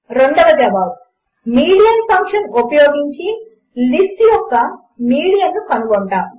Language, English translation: Telugu, To get the median we will simply use the function median